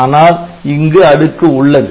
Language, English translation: Tamil, So, this is the structure